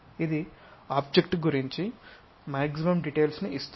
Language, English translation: Telugu, This gives maximum details about the object